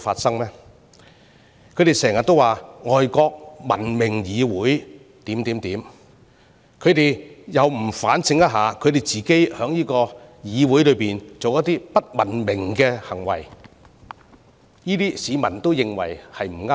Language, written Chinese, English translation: Cantonese, 他們經常提到外國文明議會的種種情況，但卻不反省自己在議會內作出的不文明行為，況且市民亦認為並不妥當。, While they keep mentioning things about those civilized legislatures overseas they do not reflect on their own uncivilized behaviour in the Council which members of the public also consider improper